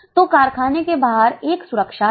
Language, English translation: Hindi, So, outside the factory there is a security